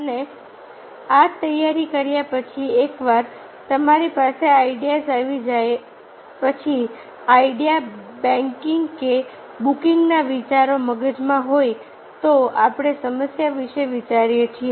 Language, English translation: Gujarati, and after this preparation, once you have the ideas, then the ideas, the banking or booking of the ideas in the brain, we think about the problem